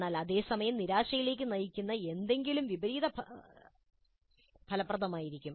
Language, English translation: Malayalam, But at the same time, something which is going to lead to a frustration will be counterproductive